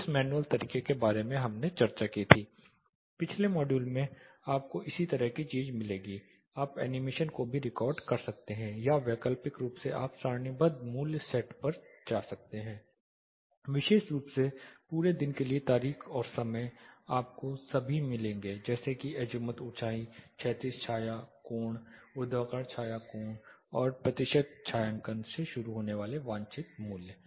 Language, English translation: Hindi, The manual way that we discussed about in the previous module you will get the similar thing animated here you can record animations as well or alternately you can go to the tabular value set the date and time specifically for the whole day you will get all the desired values starting from azimuth altitude, horizontal shadow, angle vertical shadow angle and the percentage shading available